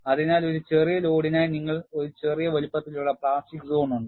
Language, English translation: Malayalam, So, for a smaller load, you have a small sized plastic zone; for a bigger load, you have a larger plastic zone